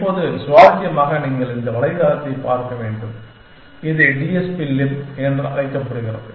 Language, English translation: Tamil, Now, interestingly you must look up for this website, it is called TSP LIB